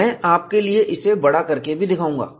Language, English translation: Hindi, I will enlarge this for you